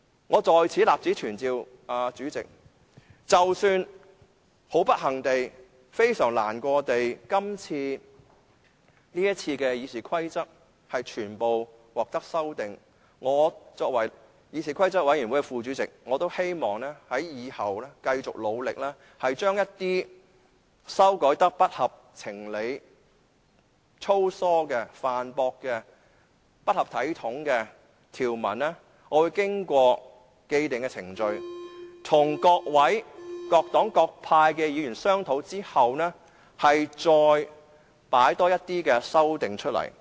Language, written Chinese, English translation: Cantonese, 我在此立此存照，主席，即使很不幸地、非常難過地，這次《議事規則》的修訂建議全部獲得通過，身為議事規則委員會副主席，我希望以後繼續努力，將一些被修改得不合情理、粗疏的、犯駁的、不合體統的條文，經過既定程序，與各黨各派議員商討後，再提出一些修訂。, I put it on record here that President even with great misfortune and sadness all the proposed amendments to RoP are passed this time as Deputy Chairman of CRoP I wish to carry on the efforts to propose some amendments to the provisions that have been amended to become unreasonable sloppy inconsistent and improper through the established procedures and after discussion with Members from different parties and groupings